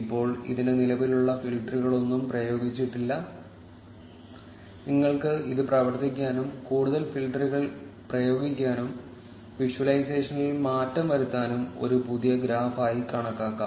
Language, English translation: Malayalam, Now, this does not have any existing filters applied to it, you can consider it as a fresh graph to work over and apply further filters, change in visualization etcetera over it